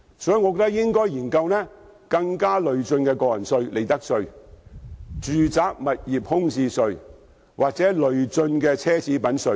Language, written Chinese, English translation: Cantonese, 我認為應該研究更累進的個人稅、利得稅、物業空置稅或奢侈品稅。, I believe studies on a more progressive tax rate on personal income tax and profits tax as well as the introduction of vacant property tax and luxury tax should be conducted